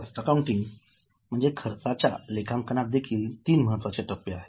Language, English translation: Marathi, , when it comes to cost accounting, these are the three important steps